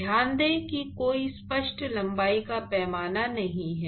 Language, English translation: Hindi, So, note that there is no clear length scale right